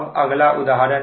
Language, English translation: Hindi, now this is another example